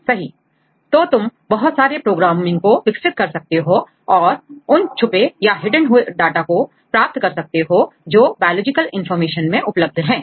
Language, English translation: Hindi, So, you can develop several programming and you can extract the hidden data, available in biological information